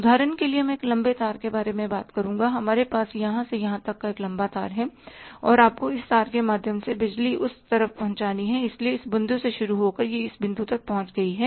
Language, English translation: Hindi, For example now you talk about a long wire we have a long wire from here to here and you have to pass electricity through this wire so starting from this point it has reach up to this point